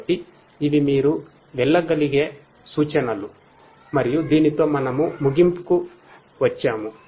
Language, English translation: Telugu, So, these are the references that you could go through and with this we come to an end